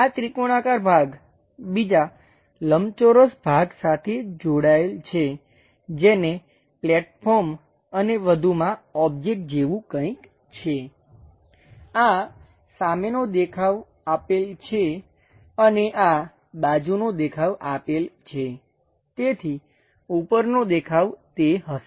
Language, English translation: Gujarati, This triangular piece attached with another rectangular piece having something like a platform and further object, this is the front view given and this is the side view given; so, top view will be that